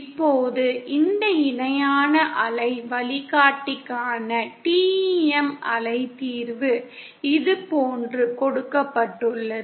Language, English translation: Tamil, Now the TEM wave solution for this parallel waveguide is given like this